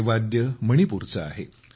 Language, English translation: Marathi, This instrument has connections with Manipur